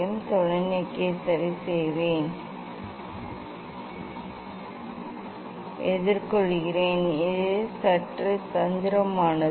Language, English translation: Tamil, I will fix the telescope, I think it is; I am facing difficult this to slightly it is a fixing slightly tricky